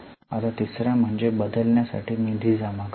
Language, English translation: Marathi, Now, the third one is to accumulate the funds for replacement